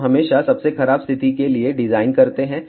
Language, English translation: Hindi, We always do the design for worst case condition